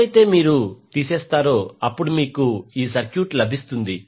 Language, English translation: Telugu, When, you remove you get the circuit like this